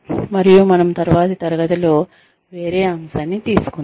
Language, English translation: Telugu, And, we will take on a different topic in the next class